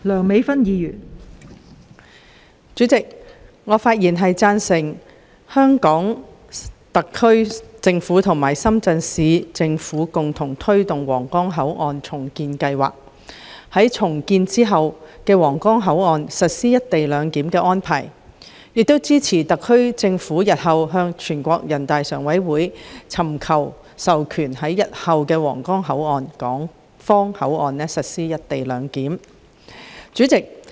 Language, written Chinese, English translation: Cantonese, 代理主席，我發言贊成香港特區政府和深圳市人民政府共同推動皇崗口岸重建計劃，並在重建後的皇崗口岸實施"一地兩檢"安排，亦支持特區政府日後尋求全國人民代表大會常務委員會的授權，在日後的皇崗口岸港方口岸區實施"一地兩檢"。, Deputy President I speak in support of the collaboration between the Hong Kong Special Administrative Region HKSAR Government and the Shenzhen Municipal Government in pressing ahead the redevelopment of the Huanggang Port and the implementation of co - location arrangement at the redeveloped Huanggang Port . I also support the HKSAR Government to seek authorization from the Standing Committee of the National Peoples Congress NPCSC in the future for implementing co - location arrangement at the Hong Kong Port Area HKPA of the redeveloped Huanggang Port